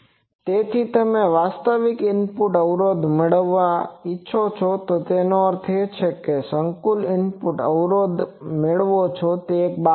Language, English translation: Gujarati, So, you get the actual input impedance; that means, the complex input impedance you can get that is one thing